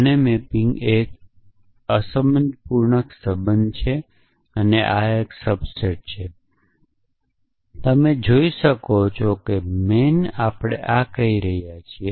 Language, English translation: Gujarati, The mapping of this is a unary relation this is a subset you see call man I and essentially we are saying this